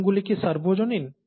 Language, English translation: Bengali, Are the rules universal